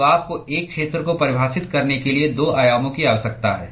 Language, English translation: Hindi, So, you need 2 dimensions in order to define an area